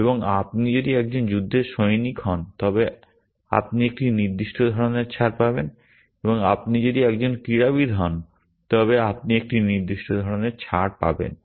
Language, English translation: Bengali, And if you are a war veteran you get a certain kind of concession and if you are a sports man you get a certain kind of concession